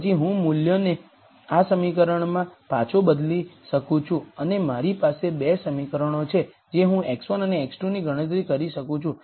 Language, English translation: Gujarati, Then I could substitute those values back into this equation and I have 2 equations I can calculate x 1 and x 2